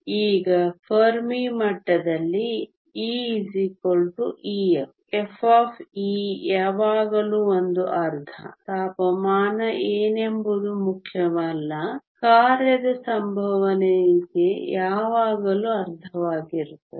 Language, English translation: Kannada, Now at the Fermi level e equal to e f, f of e is always one half; does not matter what the temperature is the probability of occupation is always half